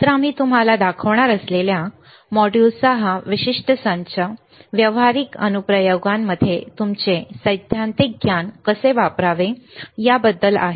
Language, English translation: Marathi, So, this particular set of modules that we are going to show to you are regarding how to use your theoretical knowledge in practical applications